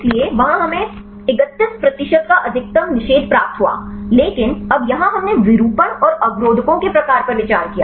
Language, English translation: Hindi, So, there we got the maximum inhibition of a 31 percent, but here now we considered the conformation and the type of inhibitors